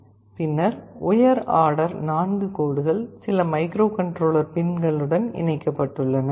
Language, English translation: Tamil, Then the high order 4 lines are connected to some microcontroller pins